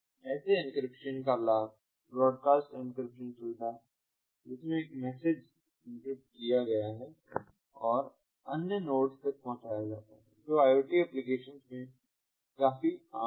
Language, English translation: Hindi, the advantage of such encryption is the broadcast encryption feature, in which one message is encrypted and delivered to multiple ah other nodes, which is quite common in iot applications